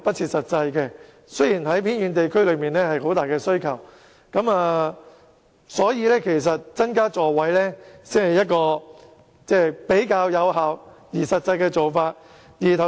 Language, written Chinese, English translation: Cantonese, 即使在一些偏遠地區仍有很大需求，但增加座位才是一種較為有效和實際的做法。, Bearing in mind the fact that there is still a great demand for PLBs in some remote areas increasing the seating capacity will be a more effective and practicable solution